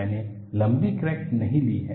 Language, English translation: Hindi, I have not taken a longer crack